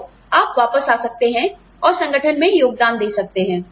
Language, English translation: Hindi, So, you can come back, and keep contributing to the organization